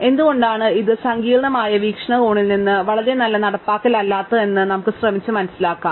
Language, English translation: Malayalam, So, let us try and understand why this is not a very good implementation from a complexity point of view